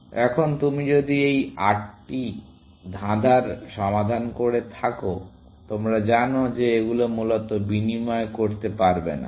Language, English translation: Bengali, Now, if you have solved this 8 puzzle kind of thing, you know that you cannot exchange them, essentially